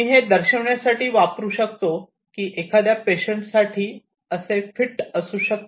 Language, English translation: Marathi, I could use it to show you that, a patient could be fitted with it like this